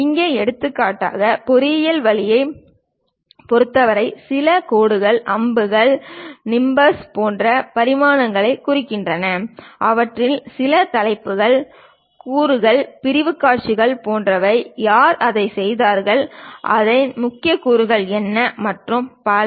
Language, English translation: Tamil, Here for example for engineering way there are certain lines arrows something like nimbus representing dimensions, and some of them like titles, components, the sectional views, who made that, what are the key components of that and so on so things always be mentioned